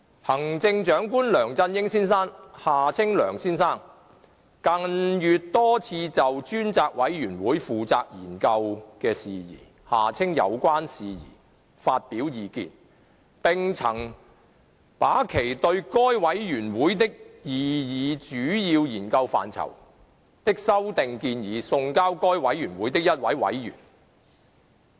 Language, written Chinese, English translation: Cantonese, 行政長官梁振英先生近月多次就專責委員會負責研究的事宜發表意見，並曾把其對該委員會的擬議主要研究範疇的修訂建議送交該委員會的一位委員。, In recent months the Chief Executive Mr LEUNG Chun - ying Mr LEUNG expressed his views on a number of occasions on the matters which the Select Committee is tasked to study and sent his suggested amendments to the proposed major areas of study of the Committee to one Committee member